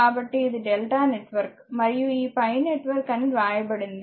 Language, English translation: Telugu, So, that is why it is written delta network and this pi network